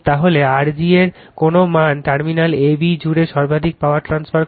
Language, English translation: Bengali, Then what value of R g results in maximum power transfer across the terminal ab